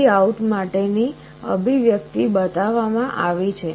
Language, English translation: Gujarati, The expression for VOUT is shown